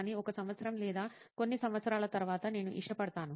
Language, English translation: Telugu, But maybe like after a year or couple of years, then I would